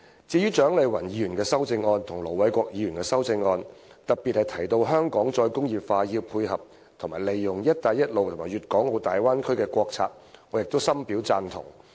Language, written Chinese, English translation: Cantonese, 至於蔣麗芸議員和盧偉國議員的修正案，當中特別提到香港"再工業化"應配合和利用"一帶一路"及粵港澳大灣區的國策，我亦深表贊同。, I am also at one with the amendments by Dr CHIANG Lai - wan and Ir Dr LO Wai - kwok which highlight the need for the re - industrialization of Hong Kong to dovetail with and capitalize on the national policies on the Belt and Road Initiative and the Guangdong - Hong Kong - Macao Bay Area